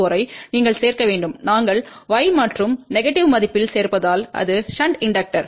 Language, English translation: Tamil, 64 you have to add that and since we are adding in y and negative value it will be a shunt inductor